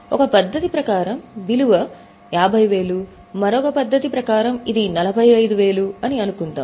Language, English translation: Telugu, As per one method, the value 50,000, as per the other method it is 45,000